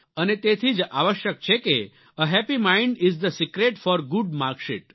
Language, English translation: Gujarati, And therefore it is necessary to remember that 'a happy mind is the secret for a good mark sheet'